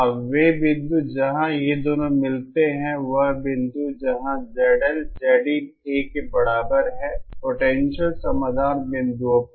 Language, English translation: Hindi, Now the points where these two meet that is the point where Z L is equal to Z in A at the potential solution points